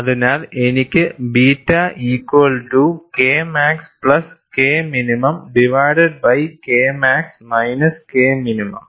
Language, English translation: Malayalam, So, I have beta equal to K max plus K minimum divided by K max minus K minimum and you have, all these factors are defined like this